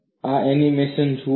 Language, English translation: Gujarati, Look at this animation